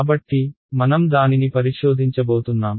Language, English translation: Telugu, So, that is what we are going to investigate